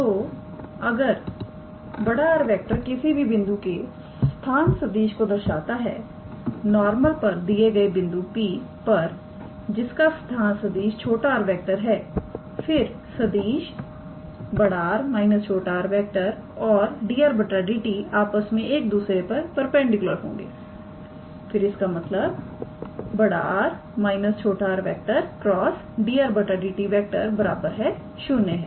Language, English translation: Hindi, So, if R denotes the position vector of any point on the normal at the point P whose position vector is small r then the vector capital R minus a small r and dr dt will be perpendicular to one another; that is capital R minus small r dot product with dr dt equals to 0